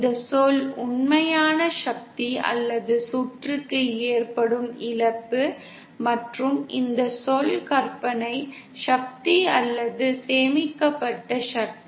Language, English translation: Tamil, This term is the real power transmitted or the loss happening in the circuit and this term is the imaginary power or stored power